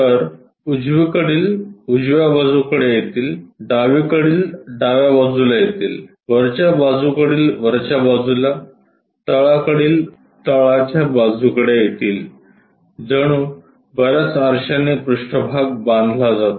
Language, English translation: Marathi, So, the right ones will come on right side; the left one comes at left side; the top one comes at top side; the bottom one comes at bottom side is is more like many mirrors are bounding that surface